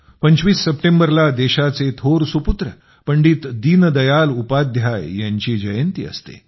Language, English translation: Marathi, the 25th of September is the birth anniversary of a great son of the country, Pandit Deen Dayal Upadhyay ji